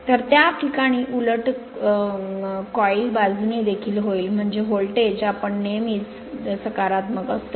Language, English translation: Marathi, So, in that case reverse will happen for other coil side also so; that means your voltage will be always you always your positive